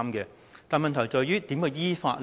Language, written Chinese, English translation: Cantonese, 然而，問題在於，如何依法呢？, However the question is how can we act in accordance with the law?